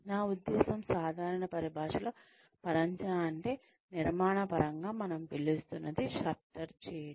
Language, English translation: Telugu, I mean, in general parlance, scaffolding is, what we call in construction terms are, shuttering